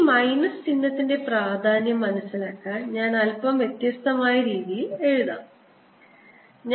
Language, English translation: Malayalam, and to understand the significance of this minus sign, i am going to write i in a slightly different manner